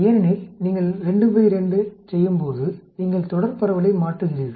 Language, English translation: Tamil, Because when you are doing a 2 by 2, you are converting a continuous distribution